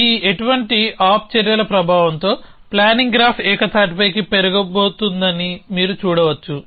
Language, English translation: Telugu, You can see the effect of this no op actions is going to be that the planning graph is going to grow monotonically